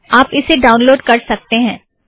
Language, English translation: Hindi, So you can download this